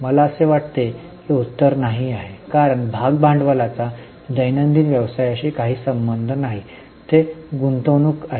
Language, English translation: Marathi, I think answer is no because share capital has nothing to do with day to day business